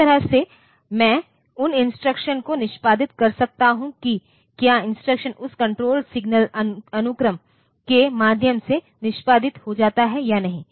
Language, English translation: Hindi, So, that way I can execute those instructions whether that the instruction gets executed by means of that activation of control signals in sequence